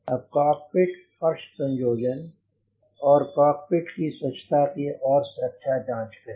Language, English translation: Hindi, now check cockpit floor assembly and cockpit for cleanliness, condition and security